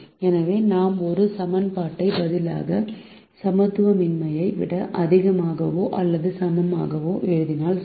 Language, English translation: Tamil, so it is alright if we write a greater than or equal to in equality here instead of an equation